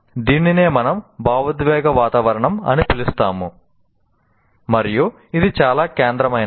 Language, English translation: Telugu, So this is what we call the emotional climate and this is very central